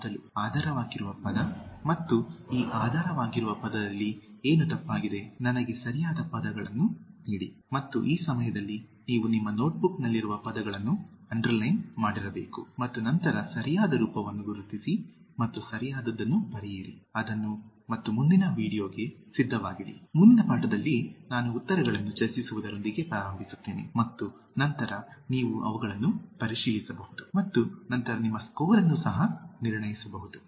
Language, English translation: Kannada, Before, is the underlying word and what is wrong with this underlying word, give me the correct word and this time you should have just underlined the words in your notebook also and then identify the correct form and what you think is the right one, write it and keep it ready for the next video, next lesson in which I will begin with discussing the answers and then you can check them and then assess your score also